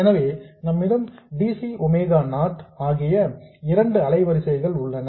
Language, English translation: Tamil, So, we have two frequencies, DC and omega0